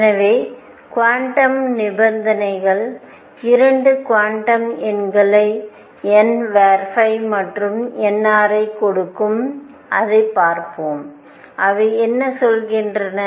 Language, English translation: Tamil, So, quantum conditions give 2 quantum numbers n phi and n r and let us see; what they mean